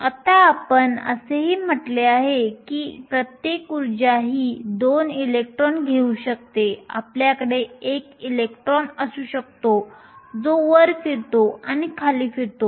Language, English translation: Marathi, Now we also said that, each energy state can take 2 electrons right you can have a electron which spin up and spin down